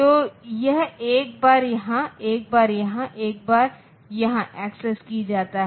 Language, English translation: Hindi, So, it is accessed once here, once here, once here